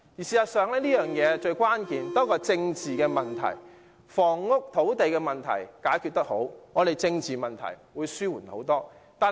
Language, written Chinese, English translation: Cantonese, 事實上，房屋供應亦關乎政治問題，房屋及土地問題能好好解決，政治問題便得以大大紓緩。, In fact housing supply also has an impact on political issues . If housing and land issues can be properly resolved political problems will be considerably alleviated